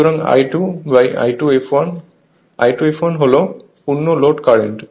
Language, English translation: Bengali, So, say I 2 upon I 2 f l; I 2 f l is the full load current